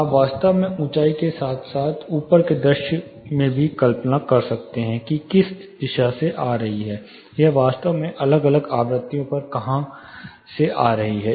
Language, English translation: Hindi, You can actually visualize in elevation as well as in plan, which direction it is coming from, and where it is actually coming from at different frequencies as well